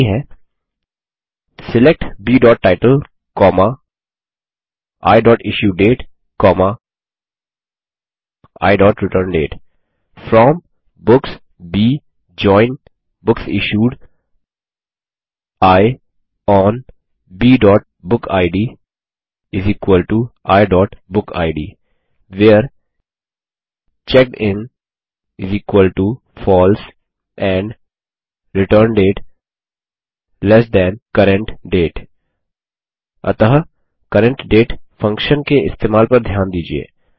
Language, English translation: Hindi, And the query is: SELECT B.Title, I.IssueDate, I.ReturnDate FROM Books B JOIN BooksIssued I ON B.bookid = I.BookId WHERE CheckedIn = FALSE and ReturnDate lt CURRENT DATE So, notice the use of the CURRENT DATE function